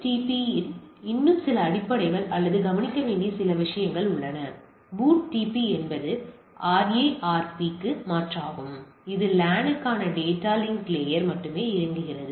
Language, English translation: Tamil, So, few more basics on BOOTP or few more things the points to note; BOOTP is alternative to RARP which operates at the data link layer for LAN only right